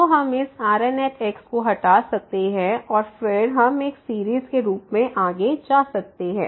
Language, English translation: Hindi, So, we can remove this and then we can continue with the further terms as a series